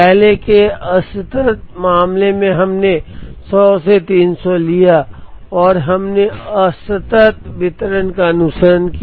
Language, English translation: Hindi, In the earlier discrete case we took from 100 to 300 and we followed a discrete distribution